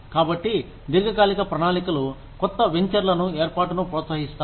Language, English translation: Telugu, So, long term plans encourage, the setting up of new ventures